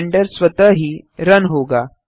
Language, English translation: Hindi, Blender should automatically start running